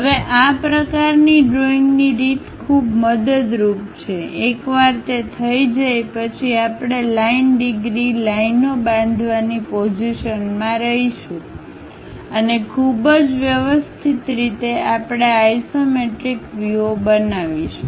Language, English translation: Gujarati, Now this kind of intuitive way of drawing is very helpful, once that is done we will be in a position to construct 30 degrees lines and go ahead and in a very systematic way, we will construct this isometric views